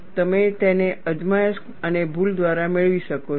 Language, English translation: Gujarati, You can get it by trial and error